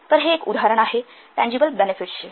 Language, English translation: Marathi, So this is an example of tangible benefits